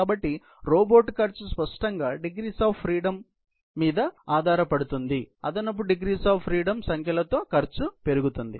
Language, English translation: Telugu, So, the cost of the robot; obviously, increases with number of degrees of freedom, additional number of degrees of freedom